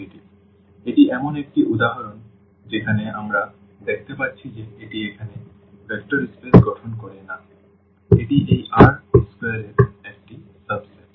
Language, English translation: Bengali, So, this is one example where we can see that this does not form a vector space though here the; this is a subset of this R square